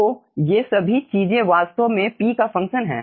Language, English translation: Hindi, here we are having function of x